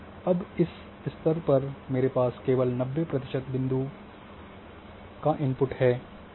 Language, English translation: Hindi, Now, at this is stage I am having a input of only ninety percent points